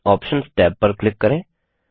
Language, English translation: Hindi, Click on the Options tab